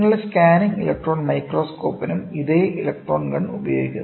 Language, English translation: Malayalam, The same electron gun is used to for your scanning electron microscope, scanning electron microscope